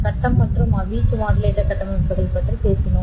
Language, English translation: Tamil, We have talked about phase and amplitude modulator structures